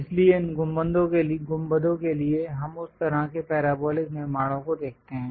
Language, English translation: Hindi, So, here for these domes, we see that kind of parabolic constructions